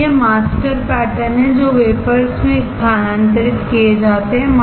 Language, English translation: Hindi, So, these are master patterns which are transferred to the wafers